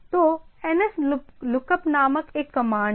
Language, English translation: Hindi, So, there is a command is nslookup